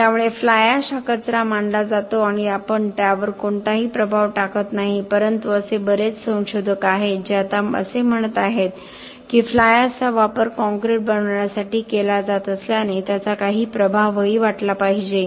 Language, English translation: Marathi, So fly ash is considered a waste we do not generally assign any impact to it but there are other there are many researchers who are now saying that fly ash since it is being used to make concrete better it should also be allocated some impact